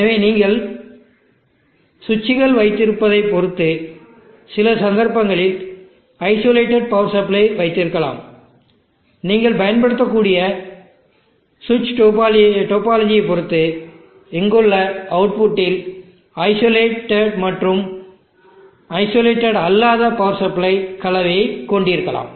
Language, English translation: Tamil, So you may land up with isolated power supplying in some cases depending upon the placing of the switches here, depending upon the switch to topology that you may use and have combination of isolated and non isolated power supplies at the outputs here